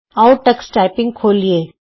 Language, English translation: Punjabi, What is Tux Typing